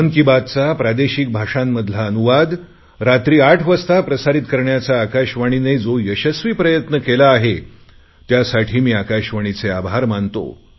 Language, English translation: Marathi, I am grateful to All India Radio that they have also been successfully broadcasting 'Mann Ki Baat' in regional languages at 8 pm